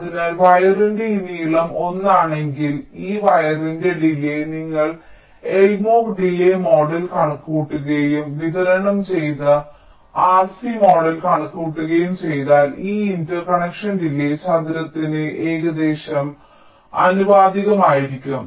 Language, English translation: Malayalam, so if this length of the wire is l, so the delay of this wire, if you just compute the l mod delay model and compute the distributed r c model, so the delay of this interconnection will be roughly proportional to the square of l